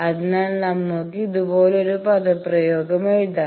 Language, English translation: Malayalam, So, we can write the expression like this